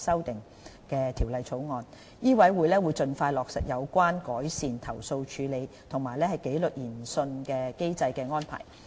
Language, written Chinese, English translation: Cantonese, 香港醫務委員會會盡快落實有關改善投訴處理及紀律研訊機制的安排。, The Medical Council of Hong Kong MCHK will expeditiously implement arrangements in relation to improving the complaint handling and disciplinary inquiry mechanism